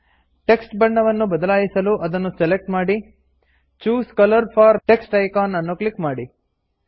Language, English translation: Kannada, To change the colour of the text, first select it and click the Choose colour for text icon